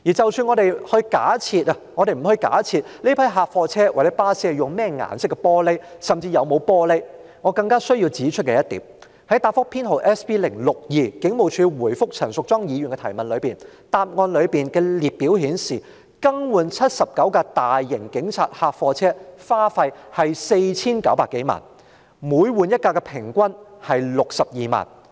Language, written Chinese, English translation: Cantonese, 即使我們不假設這批警察客貨車或機動部隊巴士用甚麼顏色的玻璃為車窗，甚或有沒有玻璃車窗，我更需要指出的一點是，在答覆編號 SB062， 警務處回覆陳淑莊議員質詢的答覆中的列表顯示，更換79輛大型警察客貨車的支出是 4,900 多萬元，即更換一輛車的平均支出是62萬元。, Even if we do not make any assumption about the colour of glasses to be used for the windows of this batch of police vans or PTU buses or whether or not there are glass windows at all one point I all the more need to make is that according to the table in Reply No . SB062 from the Police Force to Ms Tanya CHANs question the expenditure on the replacement of 79 police large vans is some 49 million averaging 620,000 per vehicle